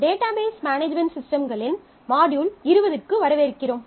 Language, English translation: Tamil, Welcome to module 20 of Database Management Systems